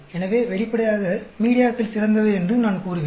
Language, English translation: Tamil, So, obviously, I would say media is the best